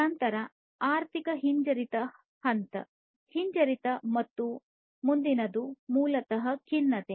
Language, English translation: Kannada, Then comes the recession phase, recession, and the next one is basically the depression